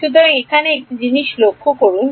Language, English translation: Bengali, So, notice one thing over here